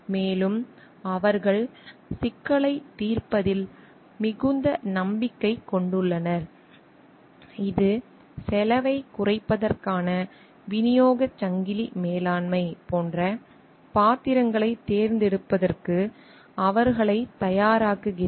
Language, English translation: Tamil, And they have great confidence in problem solving; which also makes them like more ready for choosing roles like supply chain management for reducing cost